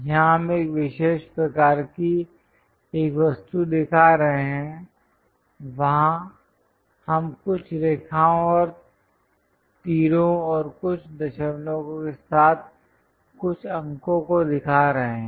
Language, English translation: Hindi, Here we are showing an object of particular shape, there we are showing something like lines and arrow and some numerals with certain decimals